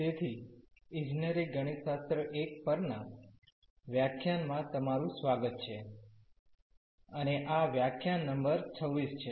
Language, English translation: Gujarati, So, welcome back to the lectures on Engineering Mathematics – I, and this is lecture number 26